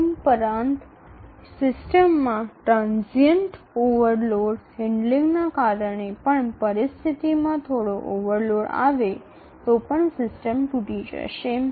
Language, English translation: Gujarati, Transient overload handling even if there is a minor overload in the situation in the system then the system will break down